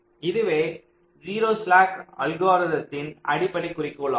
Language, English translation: Tamil, this is the basic objective of the zero slack algorithm